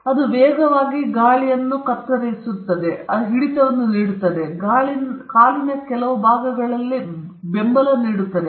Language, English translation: Kannada, It makes it cut the air faster, it gives it grip, it gives certain support in certain parts of the foot